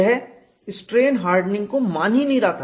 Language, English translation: Hindi, It was not considering strain hardening at all